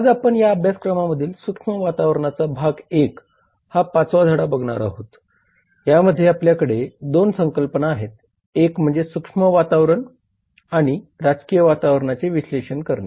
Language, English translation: Marathi, today we are going to look at the fifth lesson in this course which is understanding the macro environment part 1 In that we have 2 concepts one is analysing the macro environment and the political environment